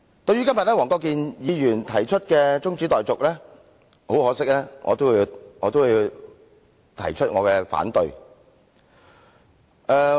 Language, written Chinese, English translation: Cantonese, 對於今天黃國健議員動議中止待續議案，很可惜，我也要提出反對。, Regarding the adjournment motion moved by Mr WONG Kwok - kin today it is unfortunate that I must also raise my objection to it